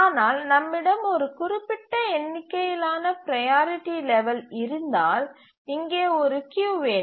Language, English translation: Tamil, So, if we have a fixed number of priority levels, then we can have a queue here